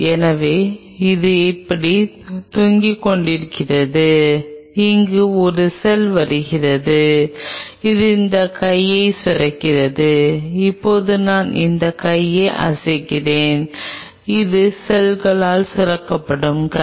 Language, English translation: Tamil, here is a cell coming and it is secreting this, this arm which is now i am waving this arm, this is the arm which has been secreted by the cell